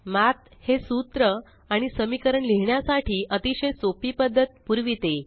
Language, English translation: Marathi, Math provides a very easy way of writing these formulae or equations